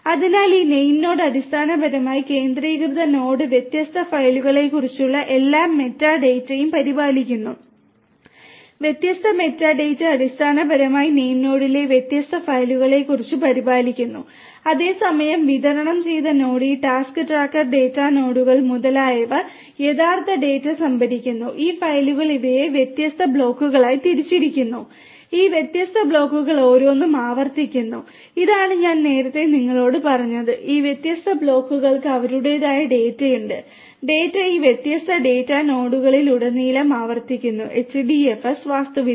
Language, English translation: Malayalam, So, this name node is basically the centralised node maintains all this meta data about the different files different meta data are basically maintained about the different files in the name node the centralised node, where as the distributed node these task tracker the data nodes etcetera store the actual data and these files are divided in these into different blocks and each of these different blocks is replicated and this is what I was telling you earlier, this different blocks have their own the data, the data are replicated across this different data nodes and so on in this HDFS architecture